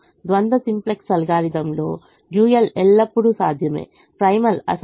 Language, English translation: Telugu, in the dual simplex algorithm the dual is feasible, the primal is infeasible